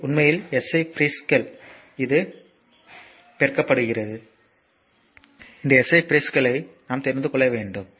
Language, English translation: Tamil, So, first basic 6 SI units and these are your what you call the SI prefixes so, this we should know right